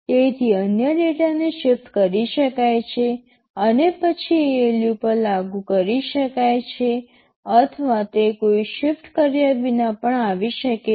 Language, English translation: Gujarati, So, if the other data can be shifted and then appliedy to ALU or it can even come without that, so with no shifting